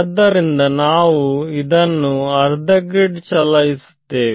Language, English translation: Kannada, So, we will also stagger them by half a grid